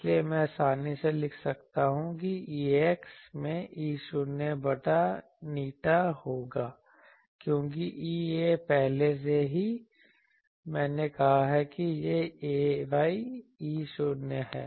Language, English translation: Hindi, So, that I can easily write that that will be ax into E not by eta because E a already I have said it is ay E not